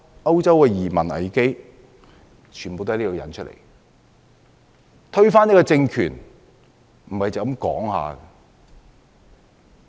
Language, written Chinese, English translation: Cantonese, 歐洲的移民危機也是推翻政權所引致的。, The immigration crisis in Europe is also caused by the overthrowing of the regime